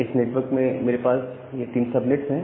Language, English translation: Hindi, So, they want to create these three subnets